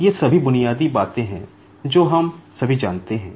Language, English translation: Hindi, These are all fundamentals, all of us we know